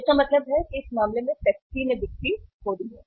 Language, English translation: Hindi, So it means in that case the Pepsi lost the sales